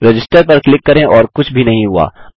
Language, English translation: Hindi, Click on Register and nothings happened